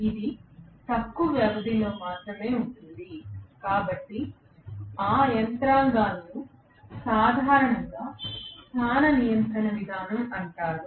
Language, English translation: Telugu, It is only for a shorter span of movement, so those mechanisms are generally known as position control mechanism